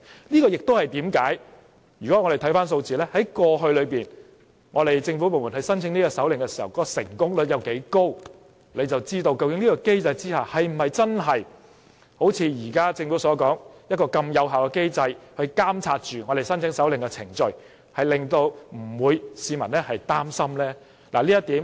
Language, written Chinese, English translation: Cantonese, 就是這原因，如果我們看到政府部門過去申請搜查令的成功率有多高，大家便知道是否真的如政府所說，這是一個很有效的機制，可以監察申請搜查令的程序，令市民不會擔心。, This is the natural thing to do . Precisely because of the high success rate of search warrant application made by government departments in the past we know whether the mechanism is truly that effective in monitoring the warrant application procedure as the Government has so claimed and that the public need not worry about it